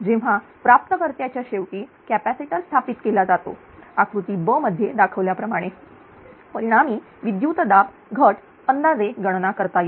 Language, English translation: Marathi, When a capacitor is installed at the receiving end line as shown in figure b, the resultant voltage drop can be calculated approximately